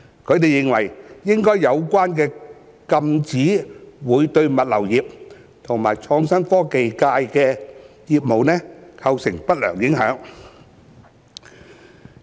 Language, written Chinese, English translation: Cantonese, 他們認為，有關禁止會對物流業及創新科技界的業務構成不良影響。, In their view such prohibition would have an adverse impact on businesses of the logistics and the innovation and technology sectors